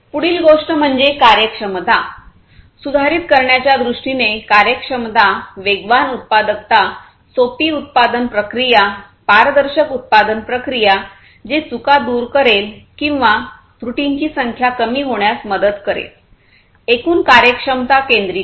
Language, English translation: Marathi, Next thing is the efficiency; efficiency in terms of improving in the products production productivity, faster productivity, simpler production processes, transparent production processes, production processes which will eliminate errors or reduce the number of errors from occurring and so on; overall efficiency centricity